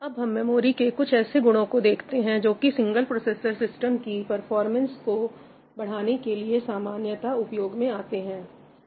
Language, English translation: Hindi, Let us look at some features of the memory which are commonly used to improve the performance of a single processor system